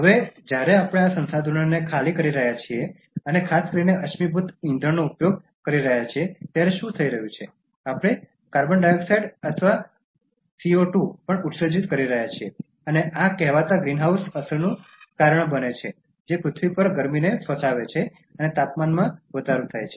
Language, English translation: Gujarati, Now when we are depleting these resources and making increased use particularly of fossil fuels, what is happening is that, we are also emitting carbon dioxide or CO2 and cause this so called greenhouse effect that traps heat on earth and causes increase in the temperature